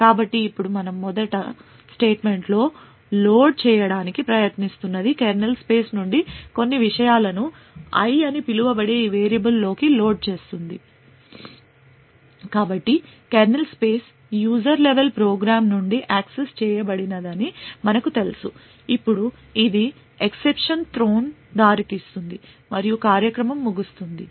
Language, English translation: Telugu, So now what we are trying to do in the first statement is load some contents from the kernel space into this variable called i, so as we know that the kernel space is not accessible from a user level program, now this would result in an exception to be thrown and the program would terminate